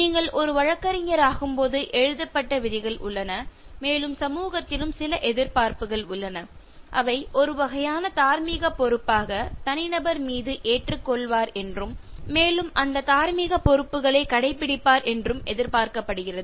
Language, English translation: Tamil, When you become a lawyer there are written rules, but then, the society has some expectations which are endured on the individual as a kind of moral responsibility and you are expected to adhere to those moral responsibilities